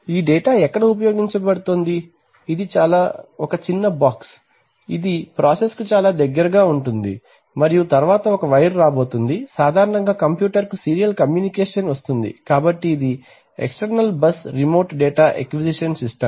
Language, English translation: Telugu, Where this data is going to be used, so this is a small box which is going to be close to the process and then one wire is going to come, generally serial communication coming to the computer, so this is an external bus remote data acquisition system